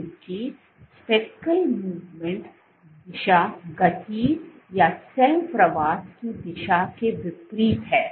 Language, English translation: Hindi, because the speckle movement direction is opposite to the direction of motion or cell migration